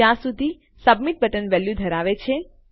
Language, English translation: Gujarati, As long as the submit button has a value...